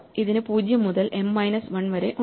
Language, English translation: Malayalam, So, it has 0 to m minus 1